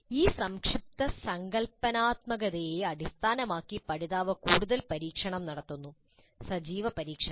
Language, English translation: Malayalam, Based on this abstract conceptualization, learner does further experimentation, active experimentation